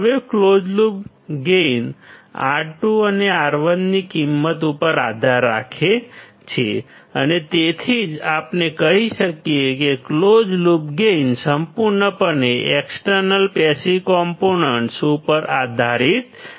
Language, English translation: Gujarati, Now closed loop gain depends on the value of R 2 and R 1 and that is why we can say that the close loop gain depends entirely on external passive components